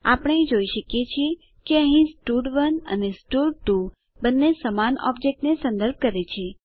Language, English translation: Gujarati, We can see that here both stud1 and stud2 refers to the same object